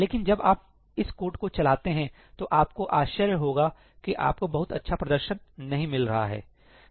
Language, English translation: Hindi, But when you run this code, you will be surprised that you are not getting very good performance